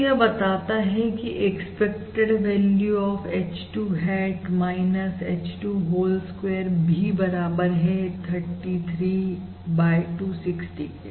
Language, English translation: Hindi, So that implies that expected value of h 2 hat minus h 2 whole square is also equal to 33 divided by 260